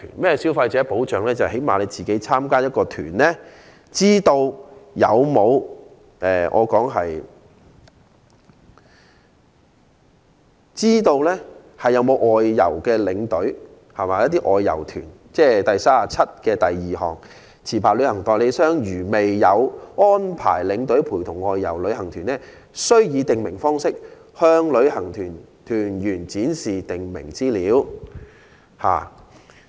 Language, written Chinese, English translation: Cantonese, 就是說，最低限度參加旅行團的人士，應知悉外遊團有沒有外遊領隊，即我的修正案第372條所訂定，"未有安排領隊陪同外遊旅行團，須以訂明方式，向旅行團團員展示訂明資料"。, Participants of an outbound tour group should at least be informed of whether the group will be accompanied by an outbound tour escort and that is the provision of clause 372 in my amendment If a licensed travel agent has not arranged a tour escort to accompany an outbound tour group it must display in the prescribed way the prescribed information to the participants of the tour group